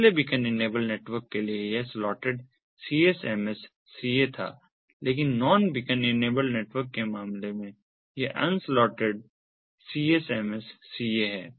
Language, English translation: Hindi, the previous one for beacon enabled network it was the slotted csms ca, but in the case of non beacon enabled network it is the un slotted csma ca